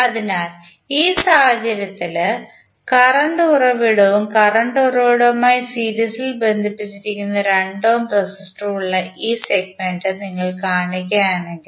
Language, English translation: Malayalam, So, in this case if you see this is the segment which has current source and 2 ohm resistor connected in series with the current source